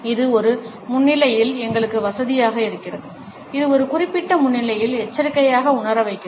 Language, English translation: Tamil, It makes us comfortable in a presence, it makes us to feel cautious in a particular presence